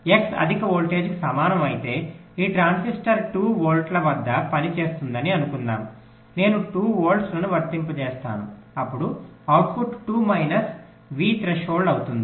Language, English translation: Telugu, but if x equals to high voltage, lets see, lets say this transistor is working at two volts, lets say i apply two volts, then the output will be two minus v threshold